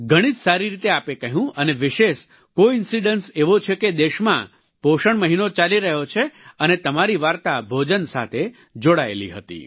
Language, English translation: Gujarati, You narrated in such a nice way and what a special coincidence that nutrition week is going on in the country and your story is connected to food